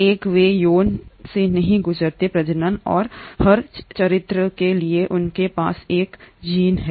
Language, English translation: Hindi, One, they do not undergo sexual reproduction and for every character they have one gene